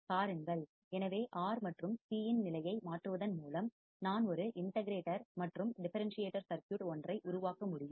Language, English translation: Tamil, See, so just by changing the position of R and C, I can form an integrator and differentiator circuit